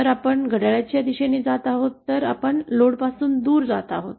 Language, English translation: Marathi, If we are going in a clockwise direction then we are moving away from a load, say this load